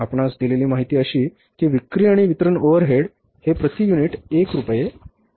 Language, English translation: Marathi, Information given to us is that selling and distribution overheads are rupees one per unit